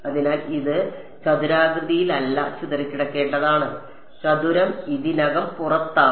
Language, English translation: Malayalam, So, this should be scattered not squared the squared is already outside